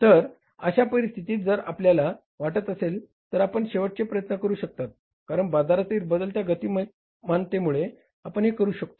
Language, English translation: Marathi, So in this situation means you have to make the last ditch effort if you want to make it because of the changed market dynamics, you can do that